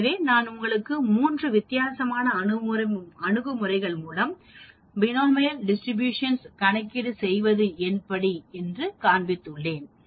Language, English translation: Tamil, So, I showed you three different approaches by which we can do the Binomial Distribution calculation